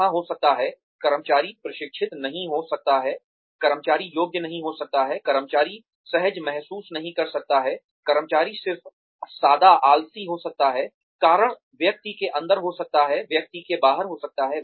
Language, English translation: Hindi, There could be, the employee may not be trained, the employee may not be qualified, the employee may not be feeling comfortable, the employee may be just plain lazy, reasons could be inside the person, could be outside the person